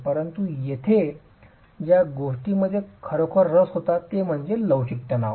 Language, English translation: Marathi, But here what we're really interested in is flexual tension